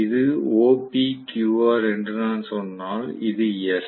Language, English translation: Tamil, If I say this is OPQR and then this is S